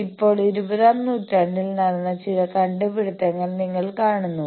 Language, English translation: Malayalam, Now, you see there are some inventions which happened in the twentieth century